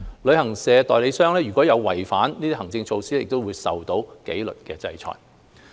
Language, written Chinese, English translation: Cantonese, 旅行代理商如違反這些行政措施，會受到紀律制裁。, Any travel agent that contravenes any of these administrative directives will be subject to disciplinary orders